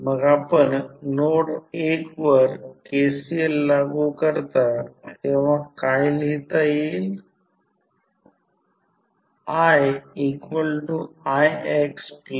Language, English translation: Marathi, So, when you apply KCL at node 1 what you can write